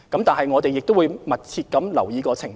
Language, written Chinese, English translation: Cantonese, 但是，我們亦會密切留意情況。, However we will closely monitor the situation